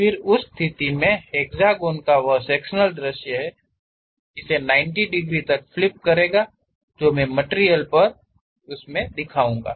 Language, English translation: Hindi, Then in that case, that sectional view of hexagon I will flip it by 90 degrees, on the material I will show it